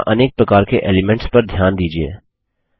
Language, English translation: Hindi, Notice the various elements here